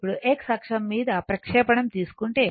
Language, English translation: Telugu, Now if you take a projection on the your x axis, right